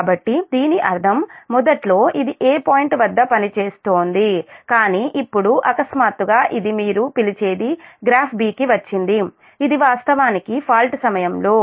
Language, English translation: Telugu, that that means initially it was operating at point a, but now suddenly this has your, what you call has come to graph b